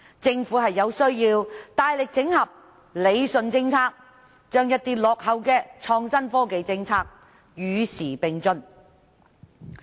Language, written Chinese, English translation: Cantonese, 政府有需要大力整合和理順政策，使一些落後的創新科技政策能與時並進。, The Government needs to make strenuous efforts to consolidate and rationalize its policies so that outdated policies in respect of innovation and technology can be kept abreast of the times